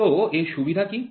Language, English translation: Bengali, So, what is the advantage of it